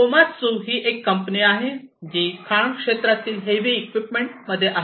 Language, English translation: Marathi, Komatsu is a company, which is into heavy machinery in the mining sector